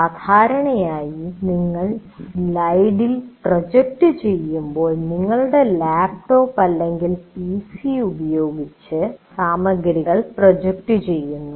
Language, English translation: Malayalam, Anyway, when you are normally when you are projecting on the slide, you are projecting the material from using your laptop or a PC